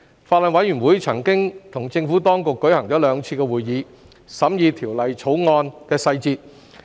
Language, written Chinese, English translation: Cantonese, 法案委員會曾與政府當局舉行兩次會議，審議《條例草案》的細節。, The Bills Committee has held two meetings with the Administration to scrutinize the details of the Bill